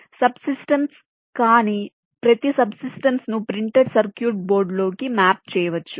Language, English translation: Telugu, we can partition into subsystems, but each of the subsystems can be possibly be mapped into a printed circuit board